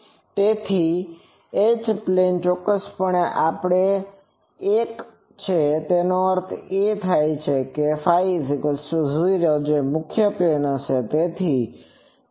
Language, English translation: Gujarati, So, H plane is definitely the other one; that means, phi is equal to 0 that principal plane